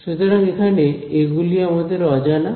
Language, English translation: Bengali, So, these now are my unknowns